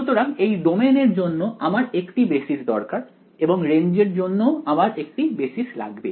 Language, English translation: Bengali, So, therefore, the for the domain I need a basis and for the range also I need a basis ok